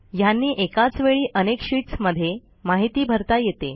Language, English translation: Marathi, These can input information into multiple sheets of the same document